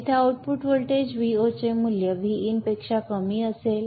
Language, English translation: Marathi, Here the output voltage V0 will have a value less than that of VIN